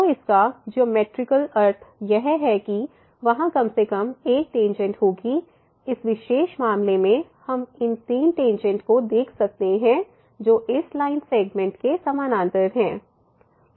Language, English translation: Hindi, So, the geometrical meaning is that they will be at least one tangent; in this particular case we can see these three tangents which are parallel to this line segment